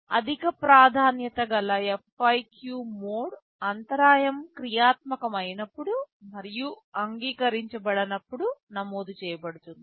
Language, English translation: Telugu, The FIQ mode is entered when a high priority interrupt is activated and is acknowledged